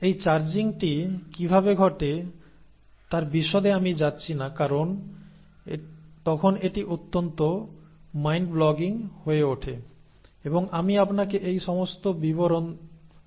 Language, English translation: Bengali, Now I am not going to get into details of how all this charging happens because then it becomes too mind boggling and I do not want to bother you with all those details